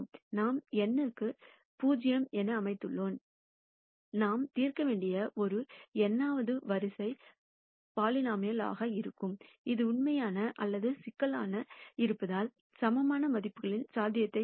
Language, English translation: Tamil, I set it to 0 for an n by n matrix, there will be an nth order polynomial that we need to solve which opens out to the possibility of the eigenvalues, being either real or complex